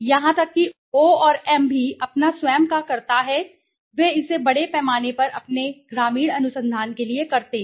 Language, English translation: Hindi, Even O&M also does its own I know they have do it their own rural research right, in a big way